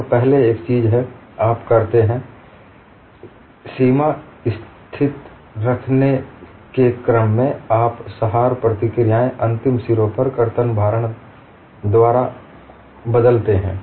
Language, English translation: Hindi, One of the first things, you do is, in order to write the boundary condition, you replace the support reactions, by the shear loading, on the end faces